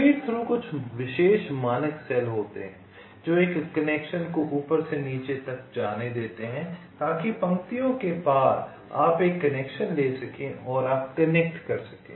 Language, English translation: Hindi, feed through are some special standard cells which allow a connection from top to go to the bottom so that across rows you can take a connection and you can connect